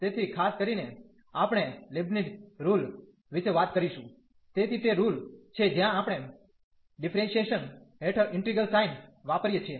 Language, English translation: Gujarati, So, in particular we will be talking about Leibnitz rule, so that is rule where we apply for differentiation under integral sign